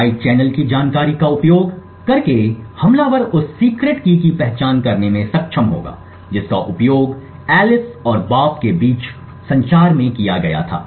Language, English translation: Hindi, Using the side channel information the attacker would be able to identify the secret key that was used in the communication between Alice and Bob